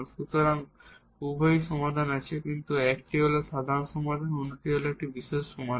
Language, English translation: Bengali, So, we have the other concept of the general and the particular solution